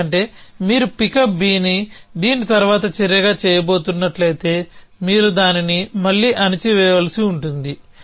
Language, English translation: Telugu, Because if you are going to do pickup B as a action which is the after this then you will have to put it down again